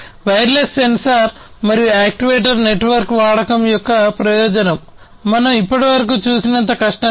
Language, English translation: Telugu, So, the advantage of use of wireless sensor and actuator network; is that it is not so difficult as we have seen so far